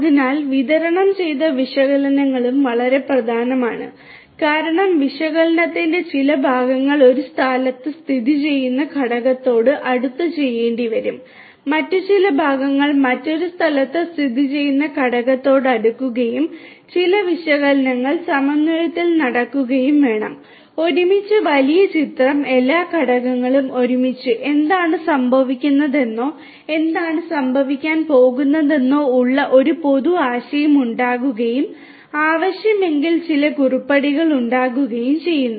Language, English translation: Malayalam, So, distributed analytics is also very important because certain parts of the analytics might have to be done close to the component located in one location, certain other parts close to the component located in another location and certain analytics will have to be done in synchrony you know putting together the bigger picture all the components together and an overall idea making an overall idea about what is happening or what is going to happen and making certain prescriptions if it is required